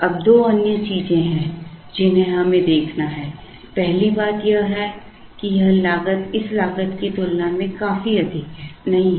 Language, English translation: Hindi, Now, there are two other things that we have to see, the first thing is that this cost is not significantly higher compared to this cost